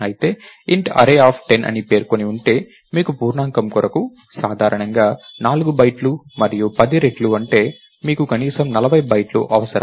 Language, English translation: Telugu, However, if you have a declaration of size int array of 10, so you need an integer is 4 bytes typically and that into 10 times, you need at least 40 bytes right